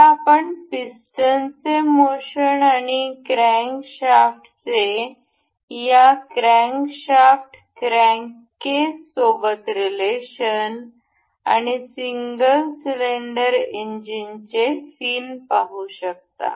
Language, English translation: Marathi, Now, you can see the motion of this piston and the crankshaft in relation with this crankshaft crank case and the fin as in a single cylinder engine